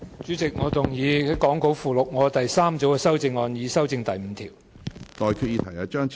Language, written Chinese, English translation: Cantonese, 主席，我動議講稿附錄我的第三組修正案，以修正第5條。, Chairman I move my third group of amendment to amend clause 5 as set out in the Appendix to the Script